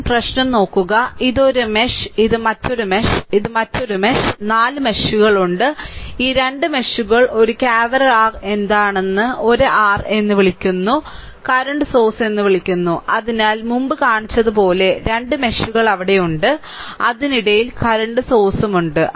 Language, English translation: Malayalam, First look at the problem, this is 1 mesh and this is another mesh, this is another mesh, this is another mesh, there are 4 meshes; between these 2 meshes 1 cavern your what you call 1 your what you call that current source is there and right, therefore, as the as I showed previously 2 meshes are there and in between your current source is there